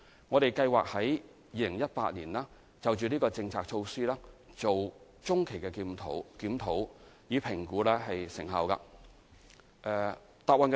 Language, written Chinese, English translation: Cantonese, 我們計劃在2018年就這項政策進行中期檢討，以評估成效。, We plan to conduct a mid - term review of the policy in 2018 to assess its effectiveness